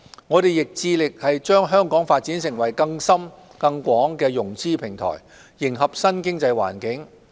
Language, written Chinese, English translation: Cantonese, 我們亦致力把香港發展成更深更廣的融資平台，迎合新經濟環境。, We have strived to develop Hong Kong into a broader and deeper platform for fund - raising in the new economy